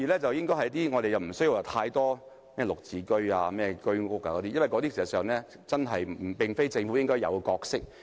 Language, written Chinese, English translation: Cantonese, 第二，我們無須興建太多"綠置居"或居屋，因為事實上，這並非政府應有的角色。, Second we do not need to build too many Green Form Subsidised Home Ownership Pilot Scheme or Home Ownership Scheme flats because that is not the role to be played by the Government